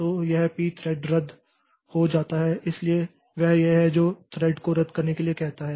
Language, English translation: Hindi, So, this P thread cancel, so this is the this will ask the thread to be canceled